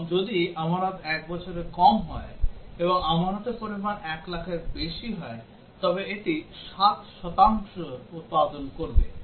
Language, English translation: Bengali, And if deposit is less than 1 year and deposit amount is more than 1 lakh then also it will produce 7 percent